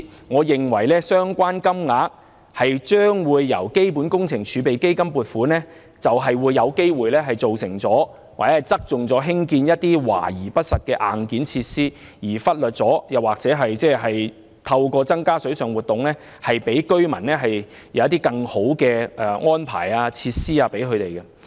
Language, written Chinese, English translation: Cantonese, 我認為，相關金額由基本工程儲備基金撥款，便有機會側重興建華而不實的硬件設施，而忽略透過增加水上活動，為居民提供更好的安排及設施。, In my opinion using the Capital Works Reserve Fund to fund the project will potentially result in showy and impractical hardware facilities rather than focusing on providing better aquatic activities and facilities for the residents